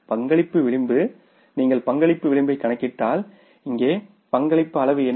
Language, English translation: Tamil, So if you calculate the contribution margin here what is the contribution margin